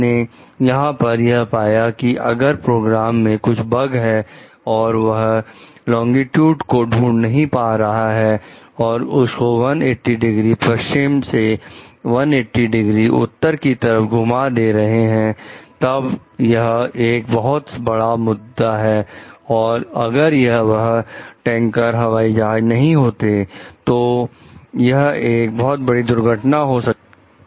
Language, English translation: Hindi, What you find over here like when the program had some bugs and it could not detect the longitude and shifted it shifted from 180 degree west to 180 degree way east then this led to like major issues, and if it were not for the tanker planes it would have led to disaster